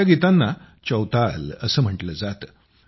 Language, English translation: Marathi, These songs are called Chautal